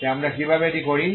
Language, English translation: Bengali, So how do we do this